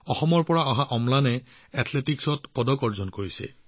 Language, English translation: Assamese, Amlan, a resident of Assam, has won a medal in Athletics